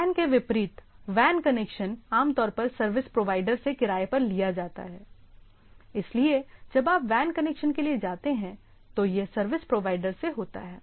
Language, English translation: Hindi, Unlike LAN, a WAN connection is generally rented from a service provider, so when you go for a WAN connection, it is from the service provider